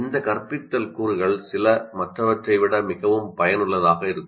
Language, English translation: Tamil, Some of these instructional components are more effective than others